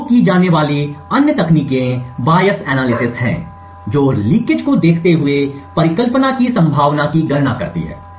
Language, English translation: Hindi, Other techniques used are the Bayes analysis which computes the probability of the hypothesis given the leakage